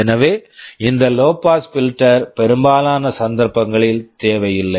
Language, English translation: Tamil, So, this low pass filter often is not required for most cases